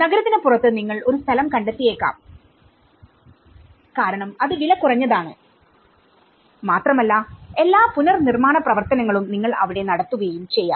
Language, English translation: Malayalam, You might find a land outside of the city you might because it was coming for cheap and you might put all the reconstruction activity there